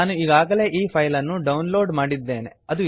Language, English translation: Kannada, I have already downloaded this file